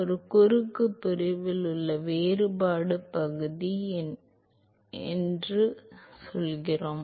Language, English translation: Tamil, What is the differential area in a cross section, come on